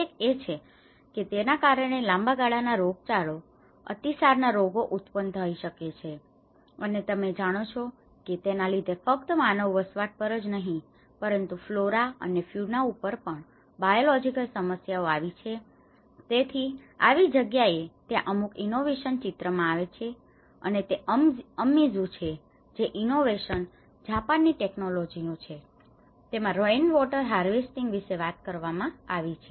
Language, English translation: Gujarati, One is; it can create a lot of chronic diseases, diarrhoea and you know it can have some kind of biological issues not only on the human habitation but also it can have on the flora and the fauna as well, so that is where there is a kind of innovation which came into the picture, and that is where Amamizu which is a kind of innovation as a Japanese technology, it is talks about rainwater harvesting